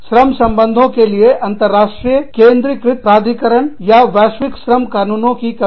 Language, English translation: Hindi, Lack of any central international authority, for labor relations, or global labor law